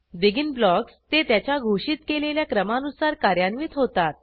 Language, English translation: Marathi, BEGIN blocks gets executed in the order of their declaration